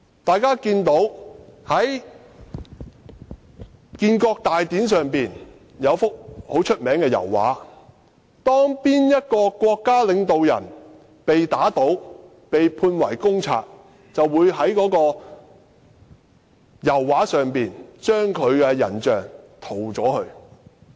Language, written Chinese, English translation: Cantonese, 大家從一幅名為"開國大典"的著名油畫可以看到，當某位國家領導人被打倒或被判為公賊，他的人像便會被人從油畫中塗走。, As evident from the famous oil painting Founding the Nation the figure of a leader would be removed from the painting once he was overthrown or accused as a public enemy